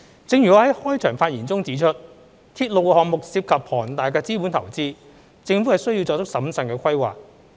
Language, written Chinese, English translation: Cantonese, 正如我在開場發言中指出，鐵路項目涉及龐大的資本投資，政府需作出審慎的規劃。, As I have pointed out in my opening remark railway projects involve huge capital investment and the Government has to plan in a prudent manner